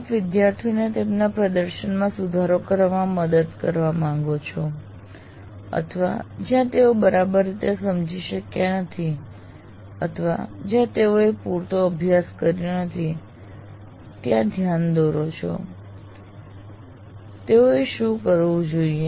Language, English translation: Gujarati, You would like to help the students in improving their performance or wherever point out where they have not adequately understood or where they have not adequately practiced, what is it they should do